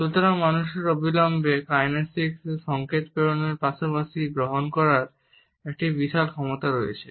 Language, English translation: Bengali, So, human beings have an immense capacity to send as well as to receive kinesic signals immediately